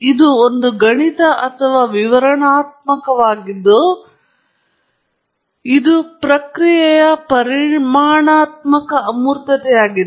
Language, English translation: Kannada, It is a mathematical or a descriptive that is quantitative or quantitative abstraction of a process